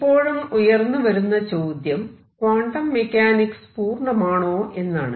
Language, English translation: Malayalam, The questions that arises that quantum mechanics is not complete